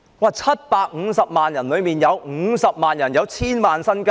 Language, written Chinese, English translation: Cantonese, 在750萬人中，有50萬人擁有千萬元身家！, Out of a population of 7.5 million 500 000 people have 10 million in assets!